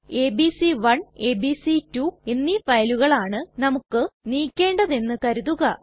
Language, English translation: Malayalam, Suppose we want to remove this files abc1 and abc2